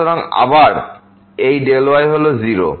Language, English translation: Bengali, So, again this is 0